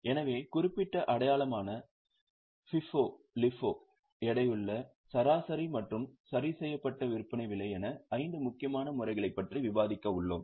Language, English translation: Tamil, So, we are going to discuss five important methods that is specific identification, FIFO, LIFO, weighted average and adjusted selling price